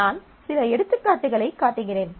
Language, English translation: Tamil, So, here I am just showing you some examples